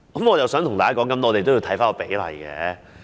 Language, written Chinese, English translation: Cantonese, 我想跟大家說，我們也要看看比例。, I wish to tell Honourable colleagues that we ought to look at the ratios too